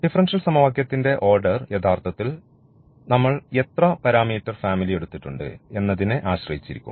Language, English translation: Malayalam, So, the order of the differential equation will be dependent actually how many parameter family we have taken